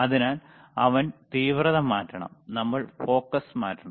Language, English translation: Malayalam, So, he have to we have to change the intensity, we have to change the focus